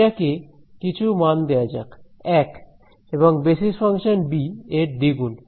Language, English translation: Bengali, Let us give it some value 1 and 2 times the basis function b